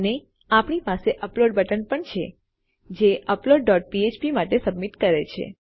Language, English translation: Gujarati, And also we have an upload button which submits to our upload dot php